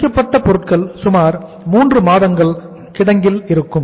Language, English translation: Tamil, Finished goods will stay in the warehouse for about 3 months